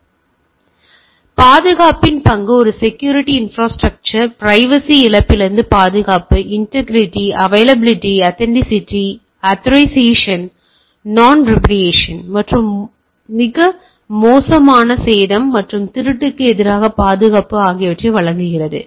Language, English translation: Tamil, So, role of security: a security infrastructure provides confidentiality, protection against loss of privacy, integrity, availability, authenticity, authorisation, non repudiation and safety protection against tempering damage and theft